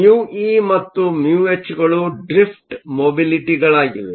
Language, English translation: Kannada, Mu e and mu h are the drift mobilities